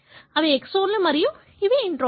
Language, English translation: Telugu, So, these are the exons and these are the introns